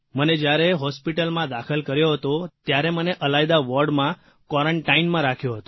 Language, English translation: Gujarati, When I was admitted to the hospital, they kept me in a quarantine